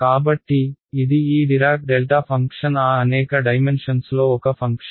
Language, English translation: Telugu, So, this is this dirac delta function is a function in those many dimensions